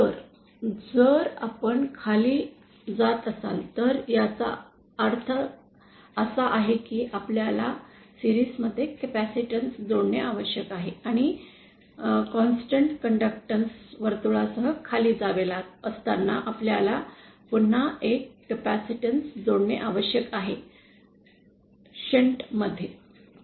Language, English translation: Marathi, So, if we are going downwards, that means that we have to connect a capacitance in series and then once we are going downwards along a constant conductance circle we again have to connect a capacitance but in shunt